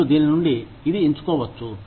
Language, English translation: Telugu, You can choose from this, this, this